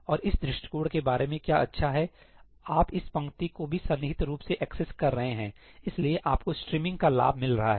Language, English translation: Hindi, And what is good about this approach where you are accessing this row also contiguously, so, you are getting the benefits of streaming